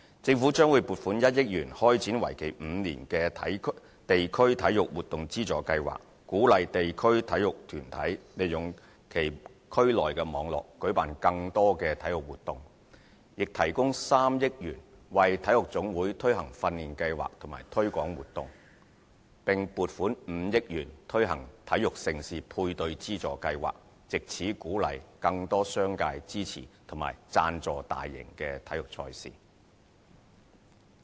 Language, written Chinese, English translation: Cantonese, 政府將會撥款1億元開展為期5年的地區體育活動資助計劃，鼓勵地區體育團體利用其區內網絡舉辦更多體育活動，亦提供3億元為體育總會推行訓練計劃和推廣活動，並撥款5億元推行體育盛事配對資助計劃，藉此鼓勵更多商界支持和贊助大型體育賽事。, The Government will allocate 100 million for the launch of a five - year District Sports Programmes Funding Scheme in order to encourage the organization of more sports events by district sports associations making use of their community networks and 300 million for training programmes and promotional activities by sports associations . The Government will also allocate 500 million for the Major Sports Events Matching Grant Scheme to encourage the business sector to support and sponsor large - scale sports events